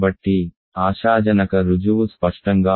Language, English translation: Telugu, So, the proof hopefully is clear